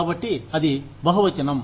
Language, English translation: Telugu, So, that is pluralism